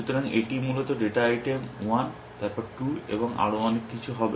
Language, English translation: Bengali, So, this is the data item 1 then 2 and so on essentially